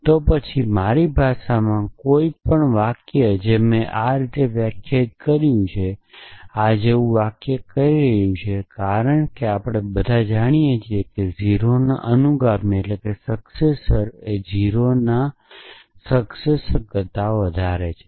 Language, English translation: Gujarati, Then any sentence in my language here which I have define the syntax, the sentence like this is essentially saying as we all know that the successor of 0 is greater than the successor of successor of 0